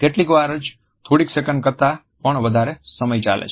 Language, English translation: Gujarati, Sometimes lasting more than even a couple seconds